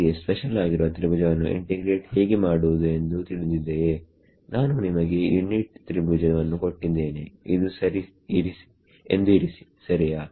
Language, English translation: Kannada, Do we know how to integrate over a special kind of triangle, supposing I give you a unit triangle ok